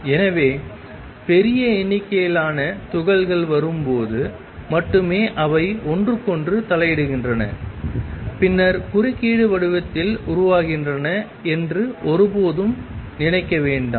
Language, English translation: Tamil, So, never think that it is only when large number particles come they interfere with each other and then the form in interference pattern